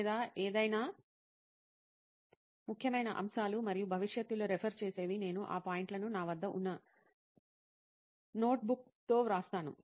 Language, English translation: Telugu, Or any important key points which I think are important and could be referred in future, I write those points with the notebook which I have